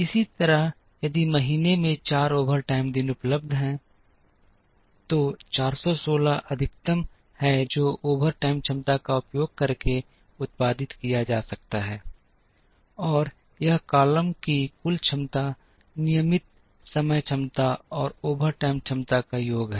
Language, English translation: Hindi, Similarly, if 4 overtime days are available in the month, 416 is the maximum that can be produced using the overtime capacity, and this column that as total capacity is a sum of regular time capacity and the overtime capacity